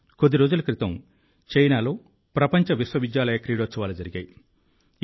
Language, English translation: Telugu, A few days ago the World University Games were held in China